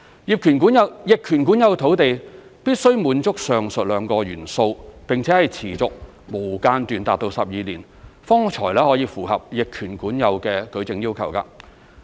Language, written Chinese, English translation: Cantonese, 逆權管有土地必須滿足上述兩個元素，並且是持續、無間斷達12年，方符合逆權管有的舉證要求。, To establish an adverse possession of land and meet the evidential requirements the above two elements must be satisfied and the possession of the privately owned land must last for 12 years in a continuous and uninterrupted manner